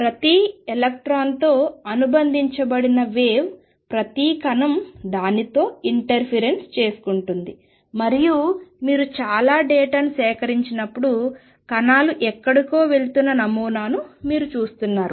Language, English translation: Telugu, Wave associated with each electron each particle interferes with itself and then when you collect a lot of data you see the pattern emerging the particles going somewhere